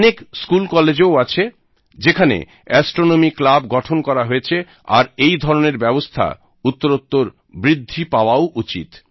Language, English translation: Bengali, And there are many such schools and colleges that form astronomy clubs, and such steps must be encouraged